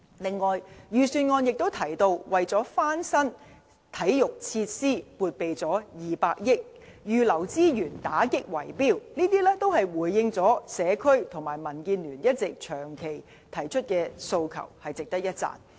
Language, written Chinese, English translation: Cantonese, 此外，預算案提及到撥備200億元翻新體育設施；預留資源打擊"圍標"，這些均回應了社區和民建聯長期提出的訴求，值得一讚。, Moreover the Budget has mentioned earmarking 20 billion for renovating sports facilities and setting aside resources for the fight against bid rigging . These measures deserve our compliment as they can address the long - held aspirations of society and DAB